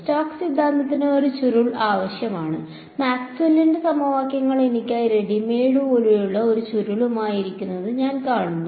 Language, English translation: Malayalam, Stokes theorem needs a curl and I see Maxwell’s equations over here sitting with a curl like readymade for me